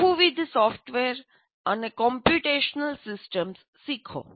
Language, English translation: Gujarati, Learn multiple software and computational systems